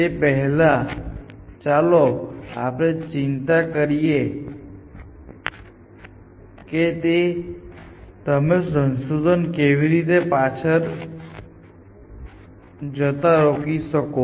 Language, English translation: Gujarati, So, let us first worry about the first objective is it how can you stop the search from going backwards